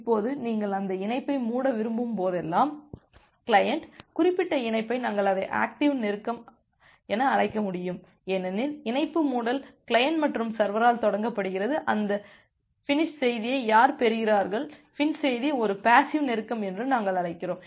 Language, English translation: Tamil, Now, whenever you are wanting to close that connection, the client can initiate the connection that particular connection we call it as an active close, because the connection closure is initiated by the client and for the server who is receiving that finish message FIN message we call that as a passive close